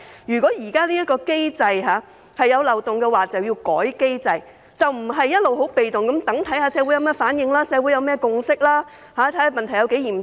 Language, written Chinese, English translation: Cantonese, 如果現行機制有漏洞，便應修改機制，而不是一直被動地看看社會有何反應、有何共識，看看問題有多嚴重。, If there is loophole in the existing mechanism the mechanism should be amended . The authorities should not wait passively for the response and consensus of the community to assess how serious the problem is